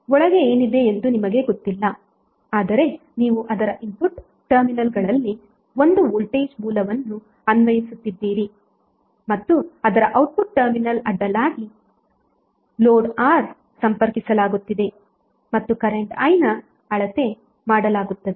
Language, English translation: Kannada, So suppose you are doing on a experiment way you do not know what is inside but you are applying one voltage source across its input terminals and connecting a load R across its output terminal and you are measuring current I